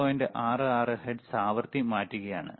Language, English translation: Malayalam, 66 hertz right